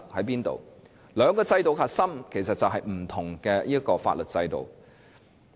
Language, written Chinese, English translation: Cantonese, 其實，兩種制度的核心是不同的法律制度。, Actually the core difference between the two systems is that they are based on two different legal systems